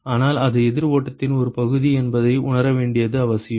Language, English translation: Tamil, But it is just important to realize that it is the fraction of the counter flow